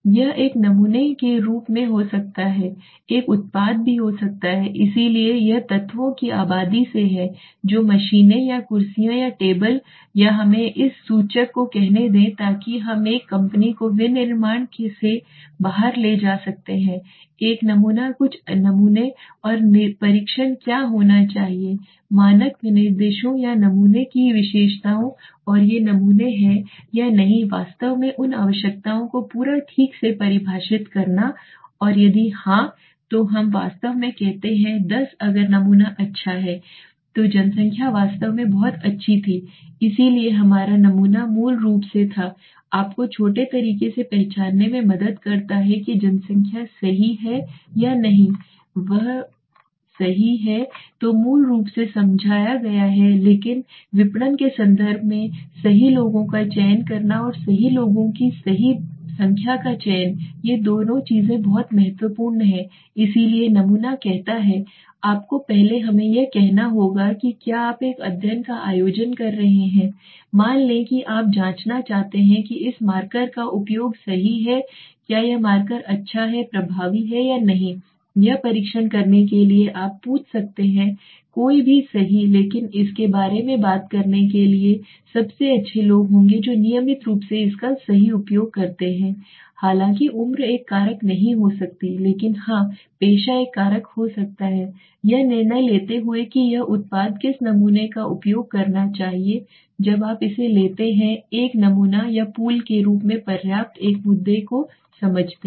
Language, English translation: Hindi, It could be as a sample could be a product also so it is from a population of elements let us say machines or chairs or tables or let us say this pointer so what we have suppose a company's manufacturing we can take out pull out a sample a few samples and tests what should be the standard specifications or the characteristics of the sample and whether these samples are actually defining properly the meeting those requirements and if yes then we say that actually the ten if the sample is good then the population was really good right so our sample basically helps you to identify from a small way whether the population is correct or not correct right so this is what basically is explained but in terms of marketing will say selecting the right people and selecting the right number of the right people two things very important so sampling says you have to first let us say if you are conducting a study let's say you want to check let us say the use of this marker right so whether this marker is good effective or not to test it you can ask anybody right but the best people to talk about it would be people like me who are regularly using it right so although age might not be a factor but yes the profession could be a factor in deciding who this product should be using so the sample when you this when you when you take out a sample or pull as ample one issue understand